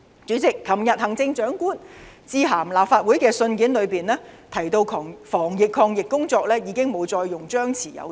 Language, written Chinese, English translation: Cantonese, 主席，行政長官在昨天致函立法會的信件中提到，防疫抗疫工作已不再採取張弛有度的策略。, President in yesterdays letter to the Legislative Council the Chief Executive pointed out that as far as anti - pandemic efforts were concerned the Government had scrapped the suppress and lift approach